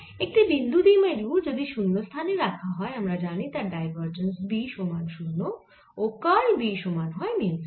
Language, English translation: Bengali, now, in case of a point dipole placed in free space, we know divergence of b equal to zero and curl of b is equal to mu zero j